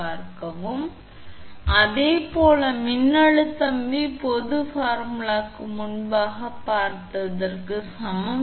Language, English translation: Tamil, So, similarly your therefore, voltage V is equal to we have seen that previously for general formula